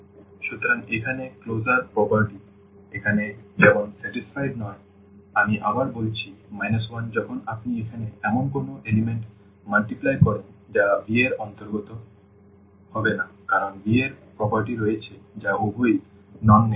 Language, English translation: Bengali, So, here this closure property is not satisfied like here I have stated again the minus 1 when you multiply to any element here that will not belong to V because the V has the property that both are non negative